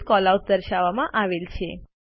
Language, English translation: Gujarati, Various Callouts are displayed